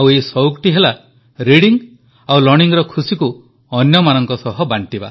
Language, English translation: Odia, This is the passion of sharing the joys of reading and writing with others